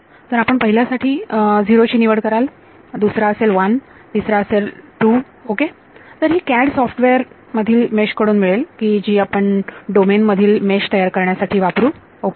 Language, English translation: Marathi, So, you will choose the first one to be 0, the second one to be 1, the third one to be 2 ok; so, this coming to you from the mesh from the CAD software which we will use to mesh the domain ok